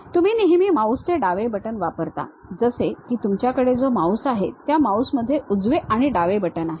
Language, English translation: Marathi, You always use left mouse button, something like if you have a mouse, in that mouse the right one, left one will be there